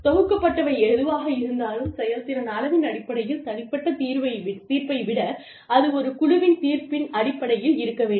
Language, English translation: Tamil, Whatever is collected, in terms of the performance measure, should be based on team judgement, rather than on individual judgement